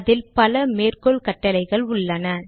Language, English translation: Tamil, It has several citations command